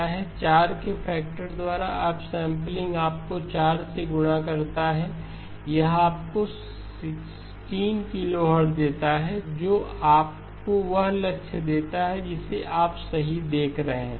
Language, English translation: Hindi, Up sampling by a factor of 4 gives you a multiplication by 4, this gives you 16 kilohertz that gives you the target that you are looking for right